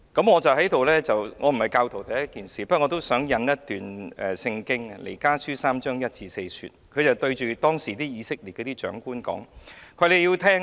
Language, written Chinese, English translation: Cantonese, 我首先指出我並非教徒，但我想引用一段聖經，經文是彌迦書第三章1至4節，講述彌迦對以色列的長官說："你們要聽！, Let me first make it clear that I am not a believer but I would like to quote a passage from the Bible namely verses 1 to 4 of chapter 3 of Micah about what Micah said to the rulers of Israel Hear!